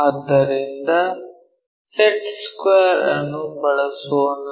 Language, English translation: Kannada, So, let us use our set square